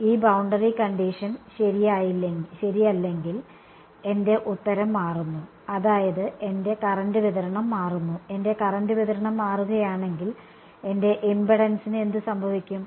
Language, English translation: Malayalam, If this boundary condition is not true, my solution changes right my; that means, my current distribution changes if the my current distribution changes what happens to my impedance